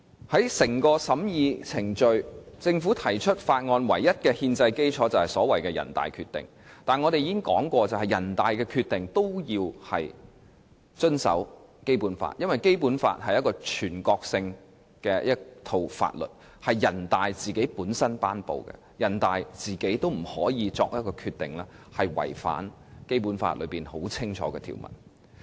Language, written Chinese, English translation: Cantonese, 在審議《條例草案》的程序中，政府提出法案的唯一憲制基礎，就是所謂的人大《決定》，但我們已經指出，人大《決定》也是需要遵守《基本法》的，因為《基本法》是一套全國性法律，由人大頒布，人大也不可以作出違反《基本法》清晰條文的決定。, The only constitutional basis on which the Government relies is the so - called NPCSCs Decision . However as we have already pointed out the NPCSCs Decision must also be consistent with the Basic Law . The Basic Law is a national law promulgated by NPC and even NPC itself cannot make any decision in contravention of those provisions explicitly provided for in the Basic Law